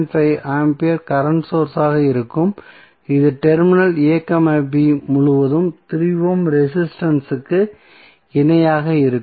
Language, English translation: Tamil, 5 ampere current source in parallel with the resistance that is 3 ohm across terminal a, b